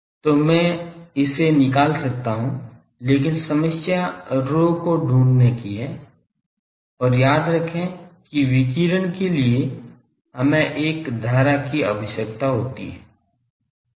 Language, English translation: Hindi, So, I can find it, but the problem is finding rho and remember that for radiation we require a current